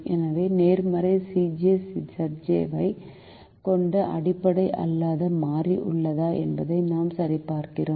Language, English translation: Tamil, so we check whether there is a non basic variable which has a positive c j minus z j